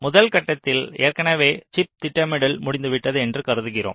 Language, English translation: Tamil, so in the first step, ah, we assume that already chip planning is done